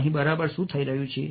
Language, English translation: Gujarati, so what exactly is happening over here